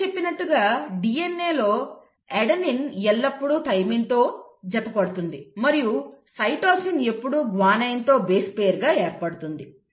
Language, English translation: Telugu, As I mentioned, in DNA, an adenine will always base pair with a thymine and a cytosine will always form of base pair with a guanine